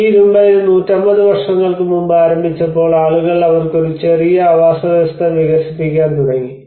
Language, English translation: Malayalam, So when this iron ore have started just 150 years before and that is where people started developing a small habitat for them